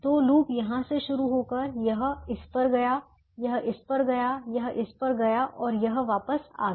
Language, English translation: Hindi, so the loops started here, it went to this, it went to this, it went to this and it came back now